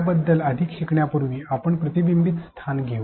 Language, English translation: Marathi, Before we learn more on that let us do a reflection spot